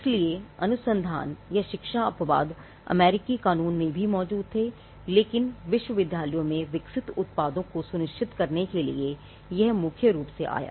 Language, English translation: Hindi, So, the research or the instruction exception existed in the US law as well, but this came more to ensure the products that are developed in the universities